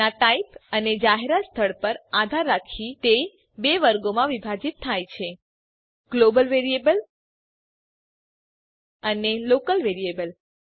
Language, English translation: Gujarati, Depending on its type and place of declaration it is divided into two categories: Global Variable amp Local Variable